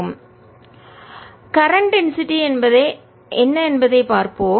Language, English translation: Tamil, let us see what the current density is